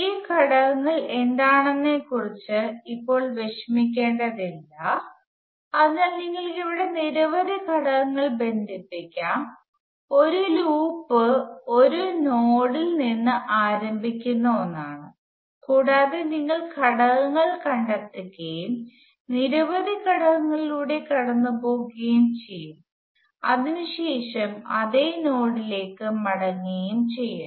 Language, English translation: Malayalam, Let us not worry about what this components are at the moment, so we can have a number of components connected here, a loop is something where you start from a node, and you go trace the elements and somehow others you can go through many elements and come back to the same node